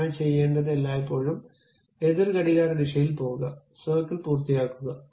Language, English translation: Malayalam, So, what it does is it always goes in the counter clockwise direction, finish the circle